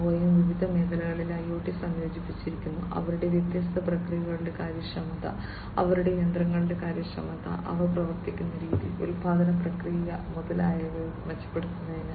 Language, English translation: Malayalam, Boeing also has incorporated IoT in different sectors, for improving the efficiency of their different processes, the efficiency of their machines the way they operate, the, the production process, and so on